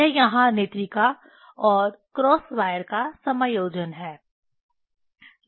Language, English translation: Hindi, That is what here adjustment of eyepiece and cross wire